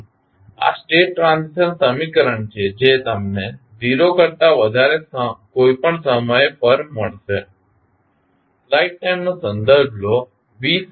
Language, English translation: Gujarati, So, this is the state transition equation which you will get for any time t greater than 0